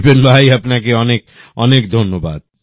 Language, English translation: Bengali, Many thanks to Vipinbhai